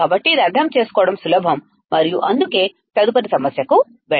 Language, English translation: Telugu, So, this is easy to understand and that is why let us keep moving on to the next problem